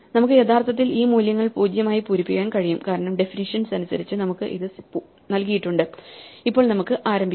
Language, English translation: Malayalam, We can actually fill in those values as 0 because that is given to us by definition and now we can start, for instance, we can start with this value because its value is known